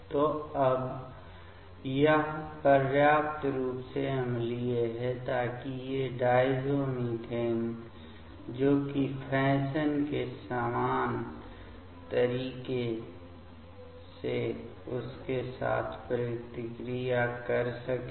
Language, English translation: Hindi, So, now this is sufficiently acidic so that these diazomethane that can react with that in similar mode of fashion